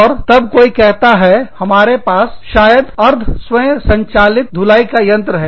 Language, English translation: Hindi, And then, somebody said, maybe, we can have a semiautomatic washing machine